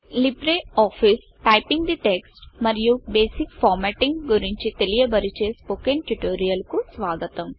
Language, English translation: Telugu, Welcome to the Spoken tutorial on LibreOffice Writer – Typing the text and basic formatting